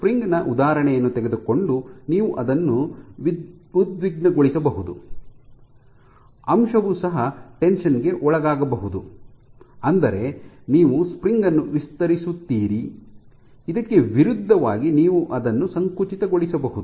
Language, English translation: Kannada, So, of course, taking the example of the spring you can exert something, you can tense it, or you can the element can be under tension, that means, you stretch it, in contrast to it you can compress it also